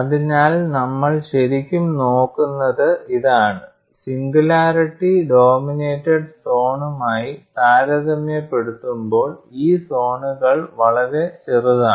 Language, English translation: Malayalam, So, what you are really looking at it is, these zones are much smaller compare to the singularity dominated zone, that is the key point here